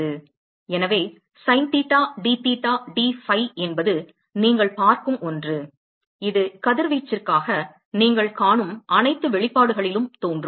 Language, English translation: Tamil, So, the sin theta dtheta dphi is something that you will see that will appear in all most all the expressions that you will see for radiation